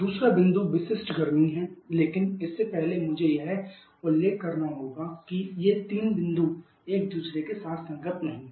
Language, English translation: Hindi, Second point is the specific heat but before that I have to mention that these 3 points are not compatible with each other quite often